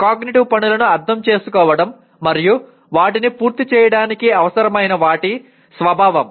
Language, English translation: Telugu, Understanding cognitive tasks and the nature of what is required to complete them